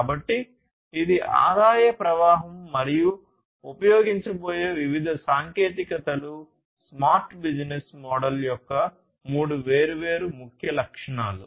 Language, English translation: Telugu, So, that is the revenue stream and the different technologies that are going to be used these are the three different key attributes of a smart business model